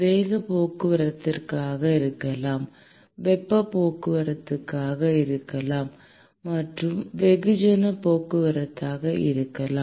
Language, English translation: Tamil, There can be momentum transport, there can be heat transport and there can be mass transport